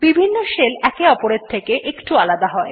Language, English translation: Bengali, Different shells are customized in slightly different ways